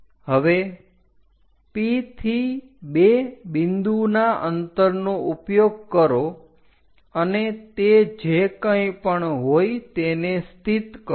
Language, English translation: Gujarati, Now, use distance P all the way to second point whatever the distance locate it on that point